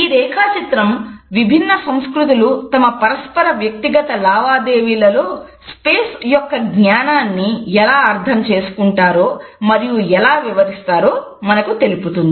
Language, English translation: Telugu, This diagram also helps us to understand how different cultures understand and interpret the sense of a space in their inter personal dealings